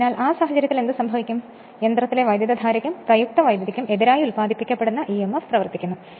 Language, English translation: Malayalam, So, in that case what will happen the induced emf acts in opposition to the current in the machine and therefore, to the applied voltage